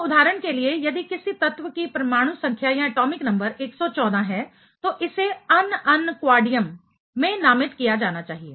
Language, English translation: Hindi, So, for example, if some element is having atomic number 114, then it should be named as un un quadium ok